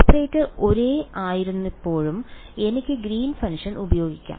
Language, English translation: Malayalam, When the operator is same I can use the Green’s function ok